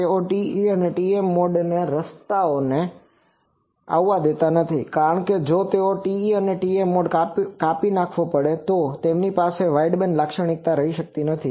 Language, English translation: Gujarati, They do not allow the way to the TE or TM mode to come, because if they come TE and TM mode have a cut off, so they cannot have a wideband characteristic